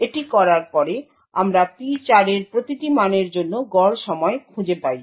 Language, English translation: Bengali, After we do this we find the average time for each value of P4